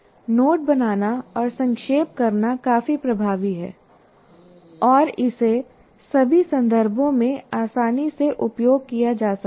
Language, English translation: Hindi, So note making and summarization is quite effective and it can be readily used in all contexts